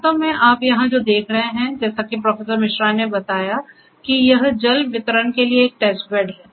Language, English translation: Hindi, So, actually what you are seeing here is as Professor Misra suggested it is a test bed for water distribution